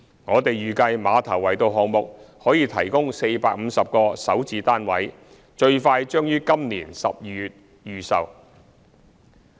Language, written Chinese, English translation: Cantonese, 我們預計馬頭圍道項目可提供450個首置單位，最快將於今年12月預售。, We estimate that the Ma Tau Wai Road project can provide 450 Starter Homes units and the presale exercise will be launched in December this year the soonest